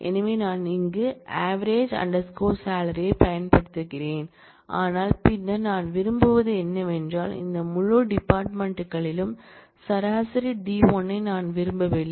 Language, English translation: Tamil, So, I get avg salary here, but then what I want is I do not want an average d1 over this whole set of fields